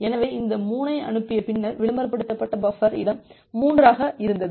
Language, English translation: Tamil, So, after sending this 3 it the advertised buffer space was 3